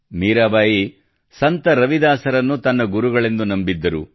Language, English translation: Kannada, Mirabai considered Saint Ravidas as her guru